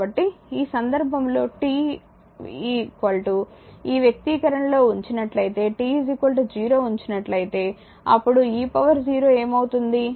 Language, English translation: Telugu, So, in this case if t is equal to you put in this expression, if you put t is equal to 0 right then what will be there the e to the power 0